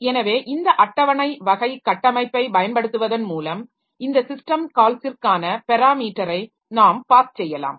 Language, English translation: Tamil, So, this way by using this stable type of structure so we can pass the parameter for this system call